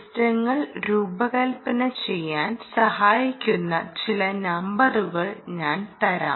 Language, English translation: Malayalam, ok, let me give you some numbers which will help you to design systems